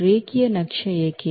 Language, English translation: Kannada, Why linear map